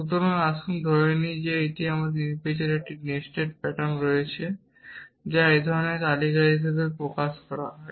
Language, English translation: Bengali, So, let us assume that we have an arbitrary nested pattern which is express as a list of this kind